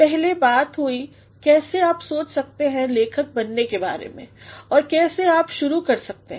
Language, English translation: Hindi, In the previous talked about how you can think of becoming a writer and how you can start